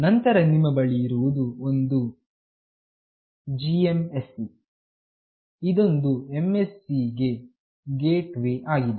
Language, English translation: Kannada, Then you have one GMSC, which is Gateway MSC